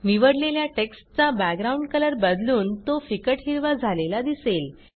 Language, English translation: Marathi, We see that the background color of the selected text changes to light green